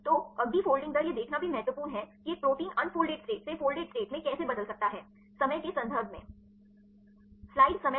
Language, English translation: Hindi, So, next folding rate is also important to see how a protein can fold from the unfolded state to the folded state regarding the time